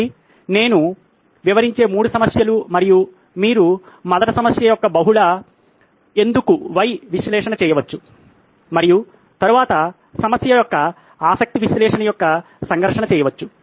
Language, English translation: Telugu, So, these are 3 problems that I’ll describe and you can first do a multi why analysis of the problem and then do a conflict of interest analysis of the problem